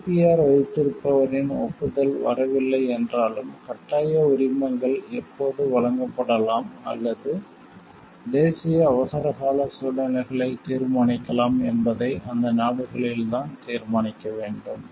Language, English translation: Tamil, Even if the consent of the holder of the IPR is not forthcoming, but it was in the countries to decide when the compulsory licenses can be granted or determined situations of national emergency